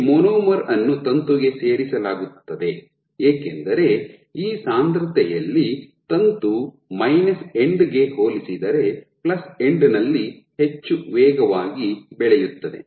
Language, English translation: Kannada, So, this monomer will get added to the filament, because this at this concentration the filament will grow at a much faster rate in the plus end compared to the minus end